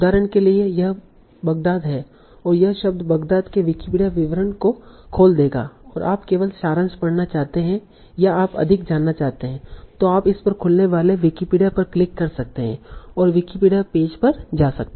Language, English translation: Hindi, So for example here in Baghdad, so it will open the Wikipedia description of the word Baghdad and you might just want to read the summary or if you want to know more, you can click on this open in Wikipedia and go to the Wikipedia page